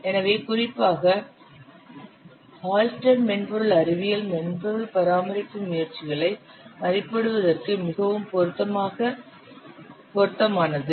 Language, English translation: Tamil, So especially Hullstreet software science is very much suitable for estimating software maintenance efforts